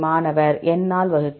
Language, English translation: Tamil, You have to divided by N